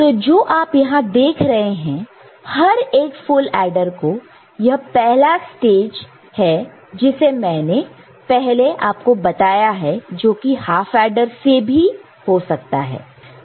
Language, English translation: Hindi, So, what you can see over here is this, each of the full adder, this is the first stage which I said it could have been half adder also ok